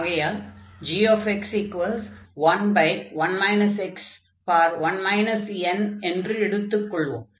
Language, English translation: Tamil, And g we take this x power n minus 1, so when n is negative